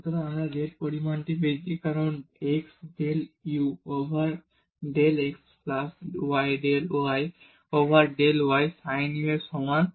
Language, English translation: Bengali, So, we get this the z quantity as x del u over del x plus y del u over del y is equal to sin u